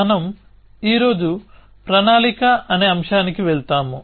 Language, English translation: Telugu, So, today we move on to this topic on planning